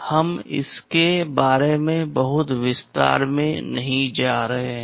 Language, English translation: Hindi, We are not going into too much detail of this